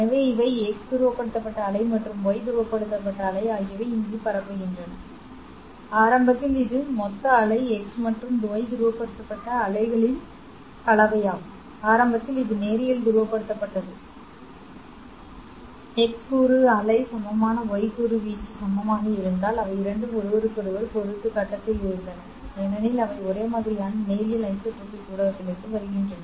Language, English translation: Tamil, So these the x wave x polarized wave and y polarized way which are propagating here initially this total wave was a combination of x and y polarized wave correct initially it was linearly polarized because x component wave was equal y component amplitude was equal they were both in face with respect to each other because they were coming from a homogeneous linear isotropic medium